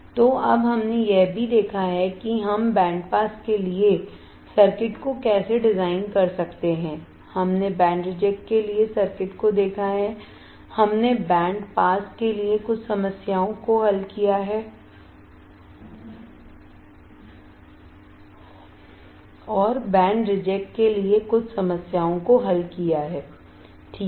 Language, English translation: Hindi, So, now, we have also seen how we can design the circuit for band pass, we have seen the circuit for band reject, we have solved some problems for band pass and solved some problem for band reject